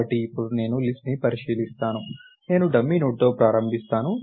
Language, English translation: Telugu, So, now, if I want to traverse the list, I start with the dummy node